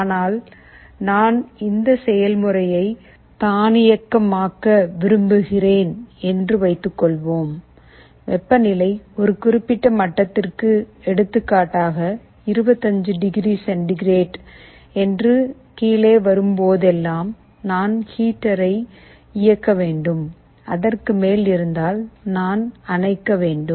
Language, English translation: Tamil, But, suppose I want to automate this process, I want to design my system in such a way that whenever the temperature falls below a certain level, let us say 25 degree centigrade, I should turn on the heater, if it is above I should turn off